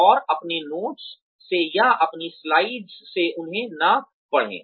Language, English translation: Hindi, And, do not read things from them from your notes or, from your slides